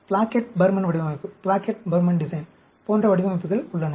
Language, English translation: Tamil, There are designs like Plackett Burman design